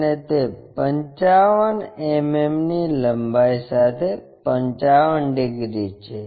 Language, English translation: Gujarati, And, that is 55 degrees with a length of 55 mm